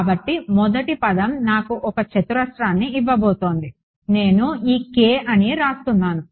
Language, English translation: Telugu, So, the first term is going to give me a minus k x square minus k y square minus k z square I am writing this k as